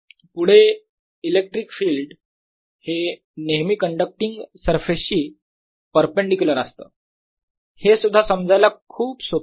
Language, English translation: Marathi, next, e, electric field is always perpendicular to a conducting surface